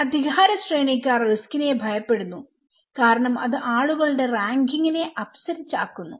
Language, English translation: Malayalam, Hierarchists fear risk that would upset the ranking of people okay